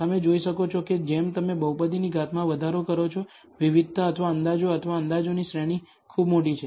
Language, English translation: Gujarati, You can see that as you increase the degree of the polynomial, the variability or the estimates or the range of the estimates is very very large